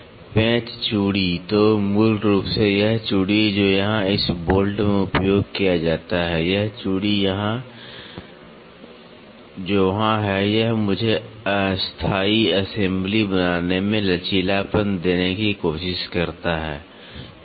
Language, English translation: Hindi, Screw thread so, basically this thread which is used here in this bolt, this thread here, which is there this tries to give me a flexibility in making temporary assemblies